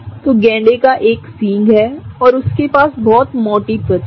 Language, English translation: Hindi, So, rhinoceros are, have a horn, right and they have a very thick skin